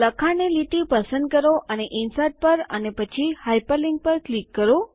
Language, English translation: Gujarati, Select the second line of text and click on Insert and then on Hyperlink